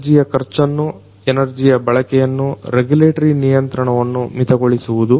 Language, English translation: Kannada, Reducing energy expenses, energy usage, regulatory control